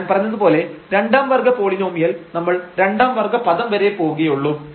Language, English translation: Malayalam, So, the second order polynomial as I said we will just go up to the second order term